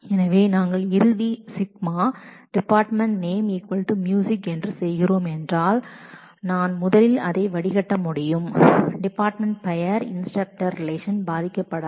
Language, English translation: Tamil, So, if we are doing a final selection based on department name is equal to is music then it is possible that I can first filter the instructor relation with the department name being music that should not affect the result